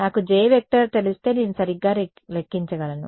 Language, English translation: Telugu, If I know J, I can calculate E right